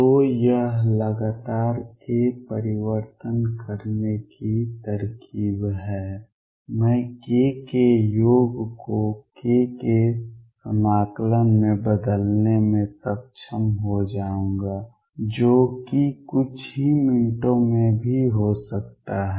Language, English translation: Hindi, So, this is the trick of making k change continuously I will be able to change the summation over k to integral over k which also in a few minutes